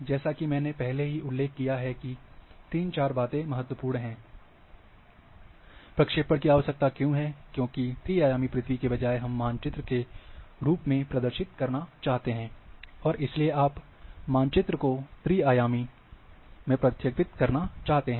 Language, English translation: Hindi, As I have already mentioned three four things ,why projections is required, because instead of a 3 d earth, we want to represent in form of maps, and therefore, you want to project map into 3 d